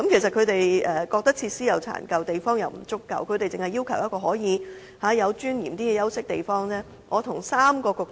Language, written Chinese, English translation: Cantonese, 懲教人員認為休息室設施殘舊，地方又不足夠，他們只是要求有一個可以較有尊嚴的休息地方。, If someone enters the room he may awake others . CSD officers think that the facilities in rest rooms are dilapidated and the space is insufficient . They merely ask for a rest place that gives them dignity